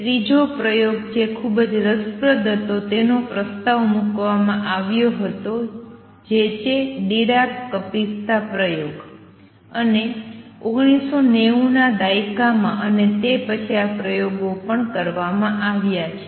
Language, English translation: Gujarati, Third experiment which was very interesting which was propose way back is Dirac Kapitsa experiment and in 1990s and after that these experiments have also been performed